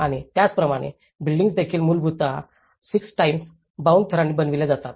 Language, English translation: Marathi, And similarly, buildings are also essentially made of 6 time bound layers